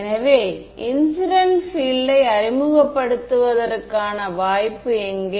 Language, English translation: Tamil, So, where is the scope to introduce incident field